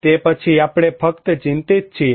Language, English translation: Gujarati, Then, we only are concerned